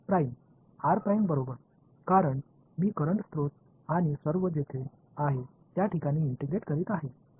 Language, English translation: Marathi, R prime right, because I am integrating over the place where the current source and all is